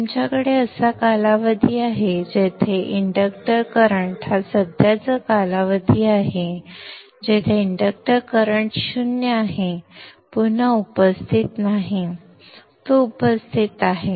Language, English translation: Marathi, You have a period where the inductor current is present, period where the inductor current is zero, not present